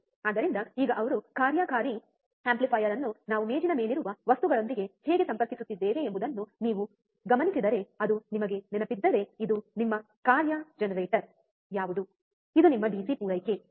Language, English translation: Kannada, So, now we focus how he is connecting the operational amplifier with the things that we have on the table which is our if you remember, what is this is your function generator, this is your DC supply, right